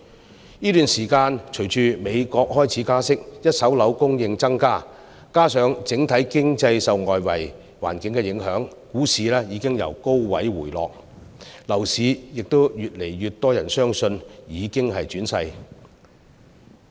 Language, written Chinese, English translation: Cantonese, 在這段時間，隨着美國開始加息，一手樓供應增加，加上整體經濟受外圍環境影響，股市已經由高位回落，亦越來越多人相信樓市已經轉勢。, During this period with the interest rate hikes in the United States an increased supply of first - hand properties impact on the overall economy by the external environment as well as the drop of stock market from a high level more and more people have begun to believe that the property market is poised for a change